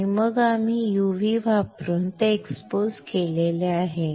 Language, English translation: Marathi, And then we have expose it using UV